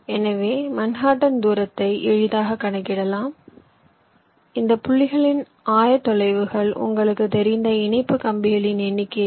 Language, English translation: Tamil, so you can easily calculate the manhatten distance given the coordinates of these points, number of interconnection wires, you know